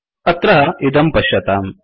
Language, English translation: Sanskrit, See this here